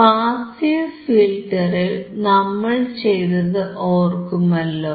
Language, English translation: Malayalam, Now, we have seen the low pass passive filter